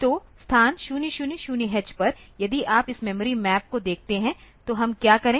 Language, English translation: Hindi, So, at the location 000 h; so, if you look into this memory map; so, what we do